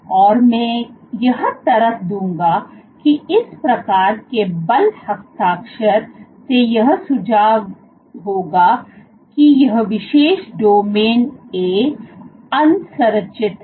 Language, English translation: Hindi, I would argue this kind of a force signature would suggest that this particular domain A is unstructured